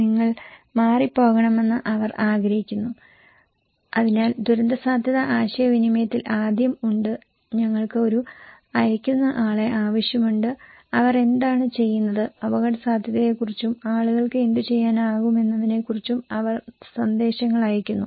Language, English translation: Malayalam, They want you to evacuate and so there is first in the disaster risk communications, we need one sender okay and what they do, they send message informations okay about the risk and what can be done to people